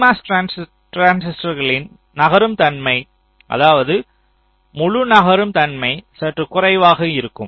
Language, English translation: Tamil, and there is another thing that the p mos transistors, their mobility, that means the whole mobility, is slightly less